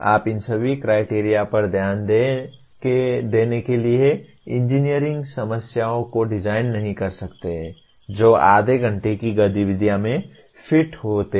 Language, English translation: Hindi, You cannot design engineering problems to pay attention to all these criteria that fits into a half an hour type of activity